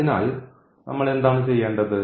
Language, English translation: Malayalam, So, what we have to do